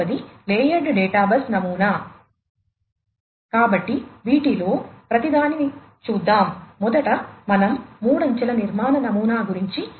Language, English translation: Telugu, So, let us go through each of these, to start with we will first go through the three tier architecture pattern